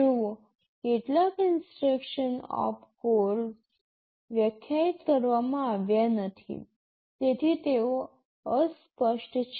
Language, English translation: Gujarati, Well some instruction opcodes have not been defined, so they are undefined